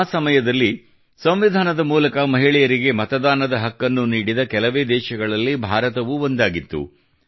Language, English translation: Kannada, During that period, India was one of the countries whose Constitution enabled Voting Rights to women